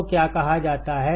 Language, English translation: Hindi, So, what is said